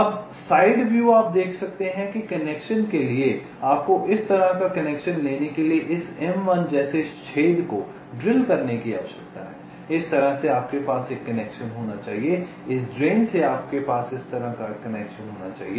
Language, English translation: Hindi, now, side view, you can see that for connection you need to drill holes like this m one to take connection, you have to have a connection like this from this drain